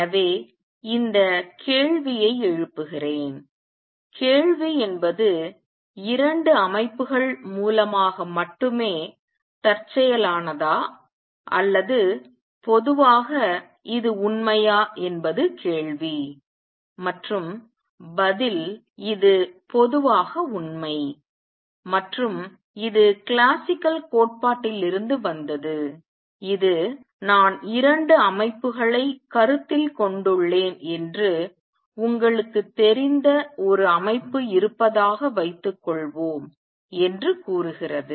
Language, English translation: Tamil, So, let me raise this question; question is the observation is through only 2 systems a coincidence or is it true in general that is the question and the answer is this is true in general and this comes from the classical theory which says suppose there is a system of you know I have considered 2 systems